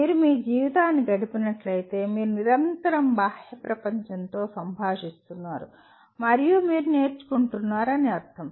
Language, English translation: Telugu, Just if you live your life possibly you are constantly interacting with the outside world and you are leaning